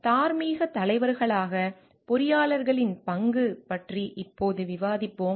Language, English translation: Tamil, Now we will discuss about the role of engineers as moral leaders